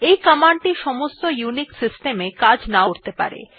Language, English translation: Bengali, This command may not work in all unix systems however